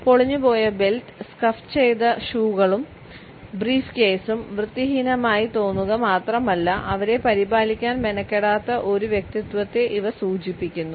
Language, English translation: Malayalam, If belt which is frayed, shoes which are scuffed and a banded up briefcase not only look unkempt, but they also suggest a personality which is not bothered to look after them